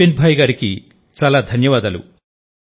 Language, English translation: Telugu, Many thanks to Vipinbhai